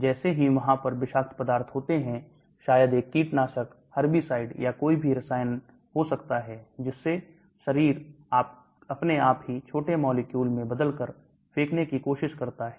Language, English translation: Hindi, As soon as the toxin is there may be a pesticide, herbicide or any chemical the body automatically tries to throw it out by transforming it into smaller molecule